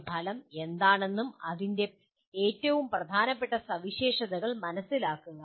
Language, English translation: Malayalam, Understand what an outcome is and its most important features